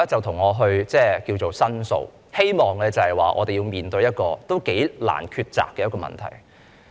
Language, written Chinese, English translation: Cantonese, 他向我申訴，希望我們面對一個頗難抉擇的問題。, He made a complaint to me hoping for us to address a rather difficult dilemma